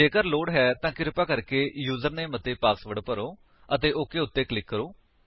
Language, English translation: Punjabi, Please enter Username and Password if required and click on OK